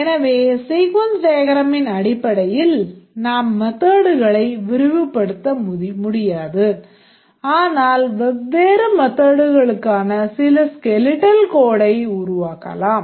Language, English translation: Tamil, So, not only that based on the sequence diagram we can populate the methods but some skeletal code for the different methods can also be created